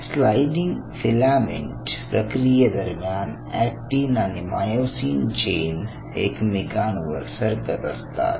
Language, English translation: Marathi, so during sliding filament motion, it is the actin and myosin chains are sliding over one another